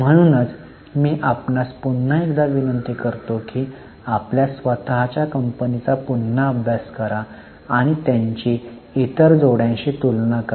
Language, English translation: Marathi, So, I am requesting you to study your own company once again and compare it with their other peers